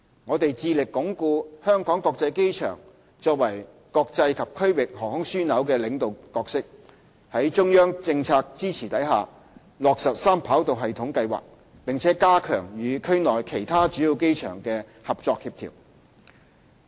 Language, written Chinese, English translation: Cantonese, 我們致力鞏固香港國際機場作為國際及區域航空樞紐的領導角色，在中央政策支持下落實三跑道系統計劃，並加強與區內其他主要機場的合作協調。, We are committed to consolidating Hong Kongs position as a leading international and regional aviation hub . With the policy support of the Central Government we are taking forward the Three - Runway System Project and will enhance cooperation and coordination with other major airports in the region